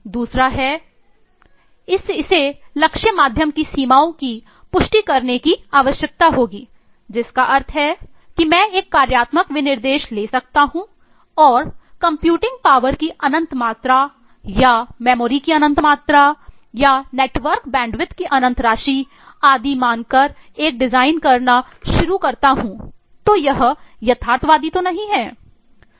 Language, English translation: Hindi, The second is it will need to confirm to the limitations of the target medium which means that I can take a functional specification and start doing a design assuming infinite amount of computing power or infinite amount of memory or infinite amount of eh network bandwidth and so on so forth that is not realistic